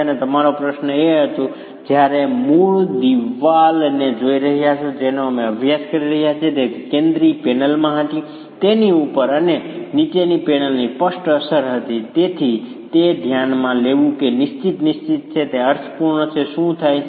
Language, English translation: Gujarati, And your question was, when you're looking at the original wall that we were studying, it had in the central panel, it had clearly the effect of the top and bottom panels and therefore considering that as fixed fixed is meaningful, what happens to the two strips at the top and the bottom